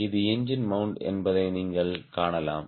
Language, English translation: Tamil, you can see this is the engine mount